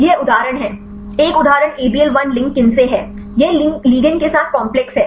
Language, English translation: Hindi, This is example; one example is ABL 1 link kinase, this is the complex with the ligand